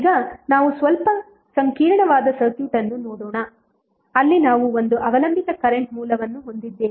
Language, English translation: Kannada, Now, let see slightly complex circuit where we have one dependent current source